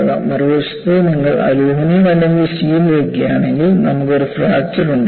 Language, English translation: Malayalam, On the other hand, if you take aluminum or steel, you will have a ductile fracture